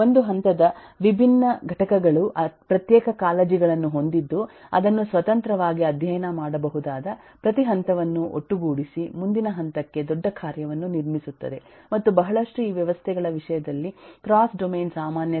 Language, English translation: Kannada, the different components in a level have separate concerns which can be independently studied, put together every level, build up a bigger functionality for the next level, and there are lot of cross domain commonality in terms of these systems